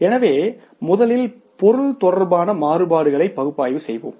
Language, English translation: Tamil, So first we will analyze the variances with regard to the material